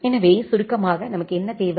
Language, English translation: Tamil, So, what we require in summary